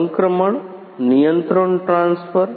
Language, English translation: Gujarati, The transfer the controls